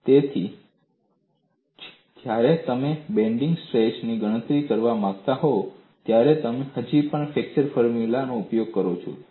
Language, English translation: Gujarati, So, that is why when you want to calculate the bending stress, you still use the flexure formula